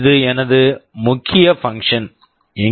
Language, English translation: Tamil, This is my main function